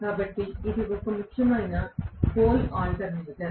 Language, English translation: Telugu, So this is a salient pole alternator